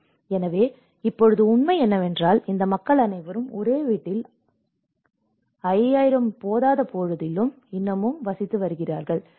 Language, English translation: Tamil, So, now the reality is all these people are still living in the same house despite that 5000 was not sufficient, and this is where something goes wrong in understanding the need